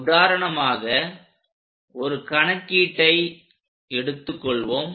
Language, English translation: Tamil, For example, let us pick a problem